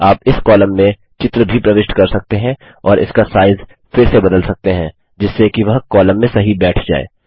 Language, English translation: Hindi, You can even insert a picture in the column and resize it so that it fits into the column